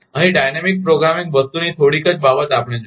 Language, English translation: Gujarati, Here only little bit of dynamic programming thing we will see